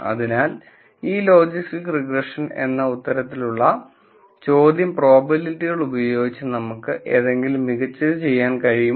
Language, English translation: Malayalam, So, the question that this logistic regression answers is can we do something better using probabilities